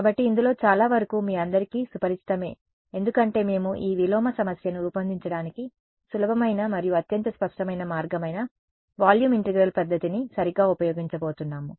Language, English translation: Telugu, So, much of this is going to be familiar to you all because we are going to use a volume integral method right that is the easiest and most intuitive way to formulate this inverse problem ok